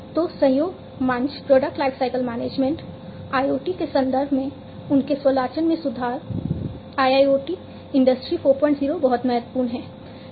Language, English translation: Hindi, So, collaboration platform product lifecycle management, their automation improvement in the context of IoT, IIoT, Industry 4